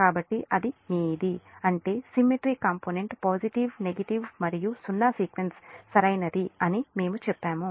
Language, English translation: Telugu, that means whatever we have said: the symmetrical component, positive, negative and zero sequence, right